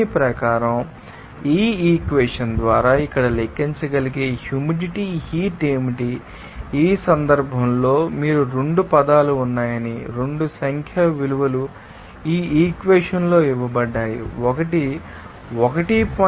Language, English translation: Telugu, According to that, what should be the humid heat that can be calculated by this equation here, in this case, you will see that 2 terms are there, 2 numerical values are given in this equation, one is 1